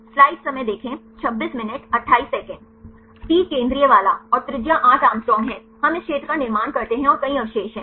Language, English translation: Hindi, The T is the central one, and the radius is 8 Å we construct this sphere and there are several residues